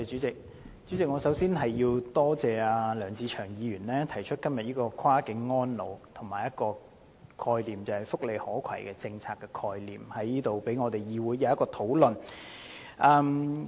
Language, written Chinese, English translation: Cantonese, 主席，我首先感謝梁志祥議員今天提出這項"跨境安老"議案及"福利可攜"的政策概念，讓本會可就此進行討論。, President I thank Mr LEUNG Che - cheung in the first place for moving the motion on Cross - boundary elderly care today bringing up the concept of welfare portability for discussion by this Council